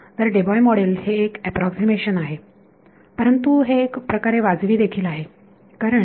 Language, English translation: Marathi, So, this Debye model is an approximation, but it is something which is reasonable because